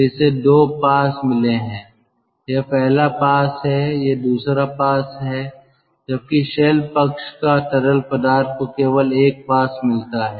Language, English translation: Hindi, this is first pass, this is the second pass, whereas shell side fluid has got only one pass